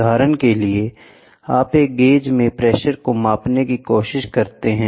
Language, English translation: Hindi, For example, you put a gauge and then you try to measure the pressure the full pressure